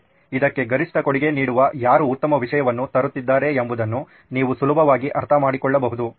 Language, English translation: Kannada, You can easily understand who is bringing in the best content who is providing maximum contribution to this